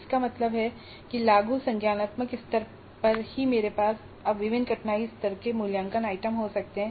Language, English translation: Hindi, That means at the applied cognitive level itself I can have assessment items of different difficulty levels